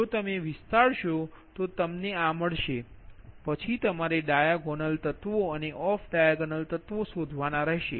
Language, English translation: Gujarati, then what you do, you take the, you you have to find out, ah, that your diagonal elements and off diagonal elements